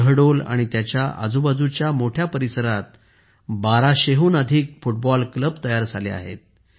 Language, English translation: Marathi, More than 1200 football clubs have been formed in Shahdol and its surrounding areas